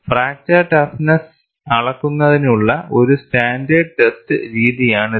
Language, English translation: Malayalam, It is a standard test method for measurement of fracture toughness